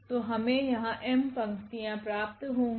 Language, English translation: Hindi, So, we will get these m rows